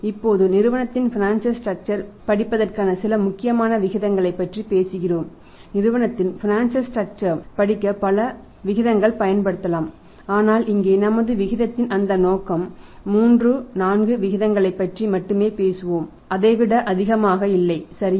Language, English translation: Tamil, There a number of ratios which can be used to study the financial structures of the firm but here for our purpose the purpose of our discussion we will only talk about the 3,4 ratios maximum not more than that right